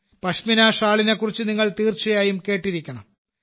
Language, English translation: Malayalam, You certainly must have heard about the Pashmina Shawl